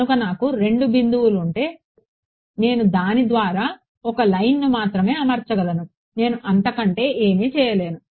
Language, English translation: Telugu, Right so, if I have two points I can only fit a line through it I cannot do anything better fine ok